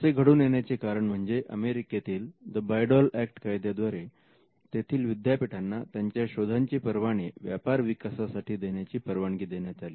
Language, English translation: Marathi, Now, this happened because of a legislation the Bayh Dole Act, which was promulgated in the United States, which allowed universities to license their inventions for commercial development